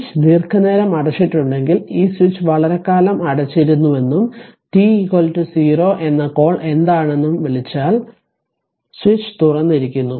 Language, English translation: Malayalam, If the switch is closed for long time means, this switch was closed for long time right and that t your what you call t is equal to 0, the switch is just opened otherwise it was close